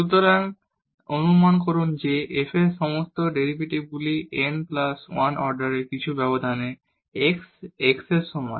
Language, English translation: Bengali, So, assume that f has all derivatives up to order n plus 1 in some interval containing the point x is equal to x 0